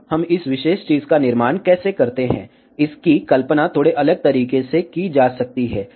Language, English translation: Hindi, Now, how do we construct this particular thing, this can be imagined in a slightly different way